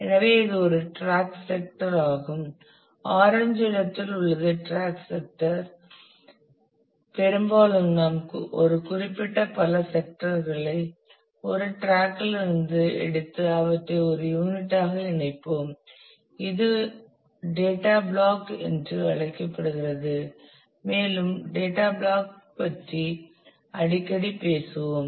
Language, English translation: Tamil, So, this is a track sector the orange one is a track sector and often we take multiple sectors from a particular track and combine them into one unit this is called the block of data and we will often talk about the block of data